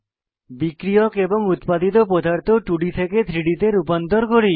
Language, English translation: Bengali, Now lets convert the reactants and products from 2D to 3D